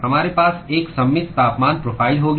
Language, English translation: Hindi, We will have a symmetric temperature profile